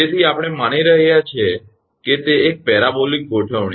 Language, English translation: Gujarati, So, we are assuming that it is a parabolic configuration